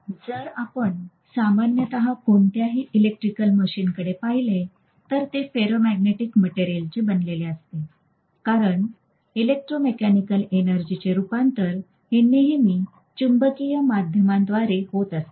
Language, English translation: Marathi, So if you look at any of the electrical machine normally they are going to be made up of ferromagnetic materials, because if you look at electromechanical energy conversion it is always through a magnetic via media